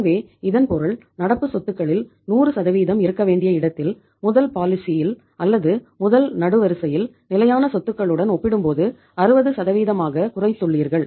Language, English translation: Tamil, So it means as against 100% of the current assets in the first policy or in the first column you have reduced it to 60% as compared to the fixed assets